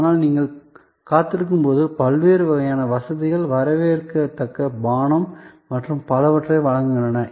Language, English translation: Tamil, But, while you are waiting, the different kind of amenities provided, maybe a welcome drink and so on